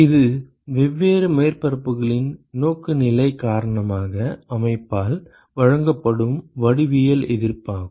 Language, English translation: Tamil, This is the geometric resistance that is offered by the system because of the orientation of different surfaces